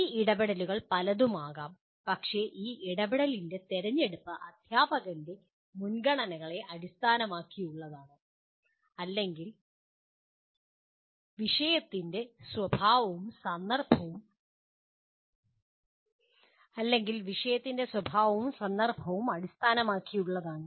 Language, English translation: Malayalam, These interventions can be many but the choice of this intervention is based on the preferences of the teacher, or the nature of the subject and the context